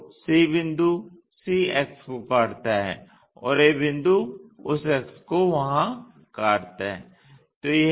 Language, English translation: Hindi, So, c point cuts c axis and a point cuts that axis there